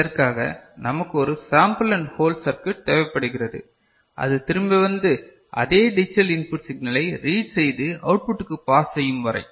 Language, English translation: Tamil, For this, we need a sample and hold circuit till it comes back and reads the same digital input signal and passes to the output ok